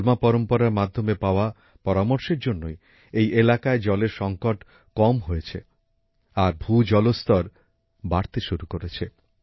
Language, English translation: Bengali, Due to the suggestions received from the Halma tradition, the water crisis in this area has reduced and the ground water level is also increasing